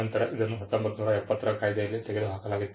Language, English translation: Kannada, Now, this was removed by the 1970 act